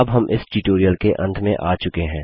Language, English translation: Hindi, This brings me to the end of this tutorial at last